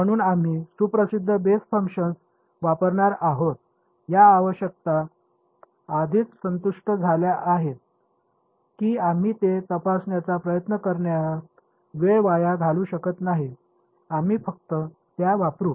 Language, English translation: Marathi, So, we are going to use well known basis functions, these requirements have already been satisfied we will not waste time in trying to check them, we will just use them